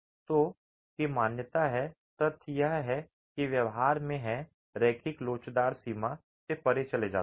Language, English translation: Hindi, So there is a recognition of it is, the behavior goes beyond the linear elastic range itself